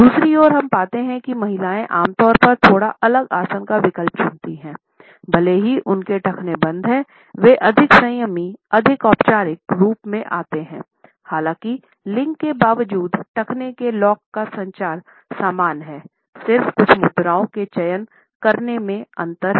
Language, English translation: Hindi, On the other hand, we find that the women normally opt for slightly different posture even though their ankles are locked, they come across as more restful, more formal; however, the communication of the ankle lock are similar despite these gender differences of opting for certain postures